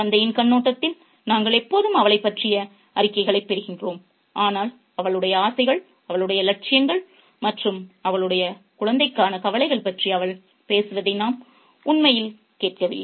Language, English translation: Tamil, We always get reports about her from the father's perspective, but we don't actually get to hear her talk about her desires, her ambitions and her fears and her worries for her child